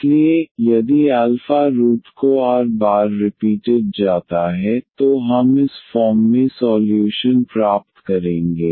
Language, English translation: Hindi, So, if alpha is alpha root is repeated r times then we will get the solution in this form